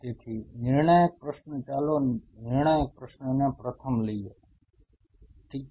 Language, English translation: Gujarati, So, so the critical question let us put the critical question first ok